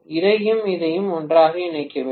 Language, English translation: Tamil, I have to connect this and this together